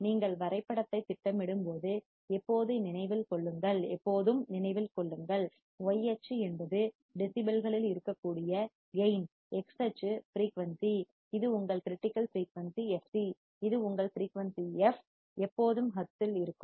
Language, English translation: Tamil, Always remember when you plot the graph, y axis is gain which can be in decibels, x axis is frequency, this is your critical frequency fc, this is your frequency f is always in hertz